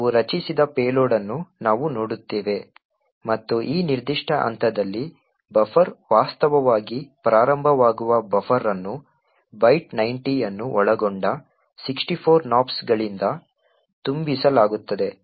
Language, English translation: Kannada, We would look at the payload that we have created, and we see at this particular point the buffer actually starts is supposed to be present we see that there are 64 Nops comprising of the byte 90